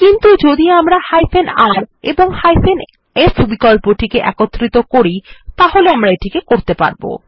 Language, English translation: Bengali, But if we combine the r and f option then we can do this